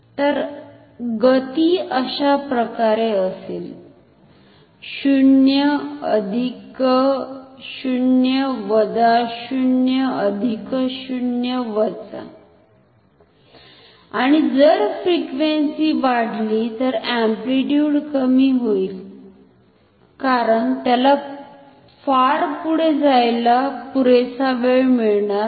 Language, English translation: Marathi, So, the motion will be like 0 plus 0 minus 0 plus 0 minus and if frequency increases then the amplitude will be reduced, because it will not have enough time to move very far